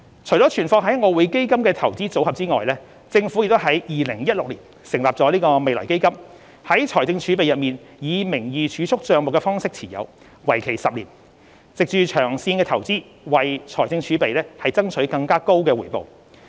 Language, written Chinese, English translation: Cantonese, 除了存放於外匯基金的"投資組合"外，政府亦於2016年成立未來基金，在財政儲備內以名義儲蓄帳目的方式持有，為期10年，藉長線投資為財政儲備爭取更高回報。, Apart from the placements with the EFs Investment Portfolio the Government established the Future Fund FF in 2016 which is a notional savings account held within the fiscal reserves for securing higher returns through long - term investments for a period of 10 years